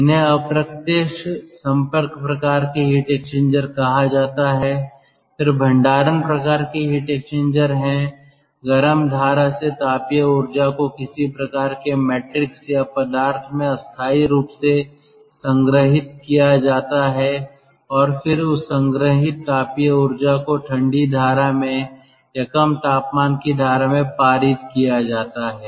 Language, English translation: Hindi, there is storage type heat exchanger: ah, thermal energy from a from the hot stream will be stored temporarily in some sort of a matrix or body and then that stored thermal energy will be passed on to the cold steam, to to the cold stream or to the low temperature stream